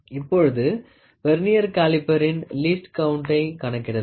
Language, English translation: Tamil, So, let us calculate, let us calculate the Vernier calipers least count